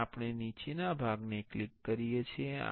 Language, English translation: Gujarati, And we click the bottom part